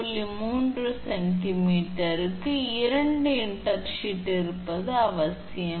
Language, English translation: Tamil, 3 centimeter it is required to have 2 intersheath